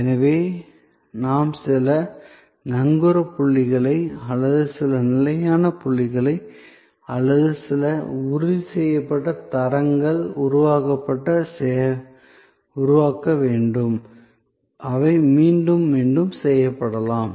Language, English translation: Tamil, So, we have to create some anchor points or some fixed points or some assured standards, which can be repeated again and again